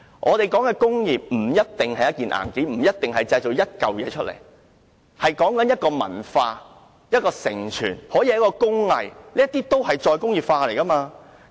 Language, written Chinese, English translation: Cantonese, 我認為工業不一定是硬件，不一定要製造出實物；工業可以是一種文化和承傳，也可以是一種工藝。, In my opinion an industry does not have to be hardware nor does it have to produce physical objects; it can be a culture an inheritance or a craft